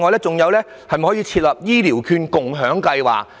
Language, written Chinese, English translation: Cantonese, 再者，可否設立"醫療券共享計劃"？, Furthermore can an EHV sharing plan be introduced?